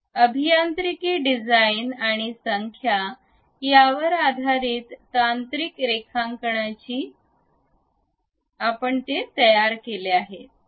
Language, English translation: Marathi, Based on the engineering designs and numbers, the technical drawing one has to construct it